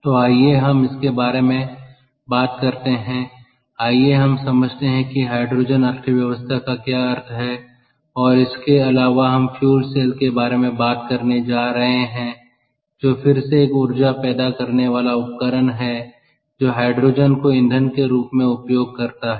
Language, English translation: Hindi, ok, so lets talk about that, lets understand what hydrogen economy means, what it is, and, and also we are going to talk about fuel cells, which is again and energy generating device that uses hydrogen as the fuel